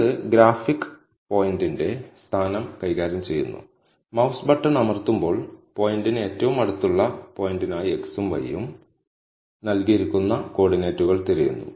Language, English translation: Malayalam, So, it treats the position of the graphic pointer, when the mouse button is pressed it, then searches the coordinates given an x and y for the point closest to the pointer